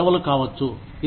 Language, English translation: Telugu, It could be vacations